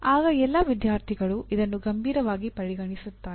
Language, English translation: Kannada, Then only all the students will take it seriously